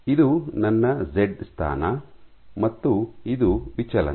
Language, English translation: Kannada, So, this is my z position and this is my deflection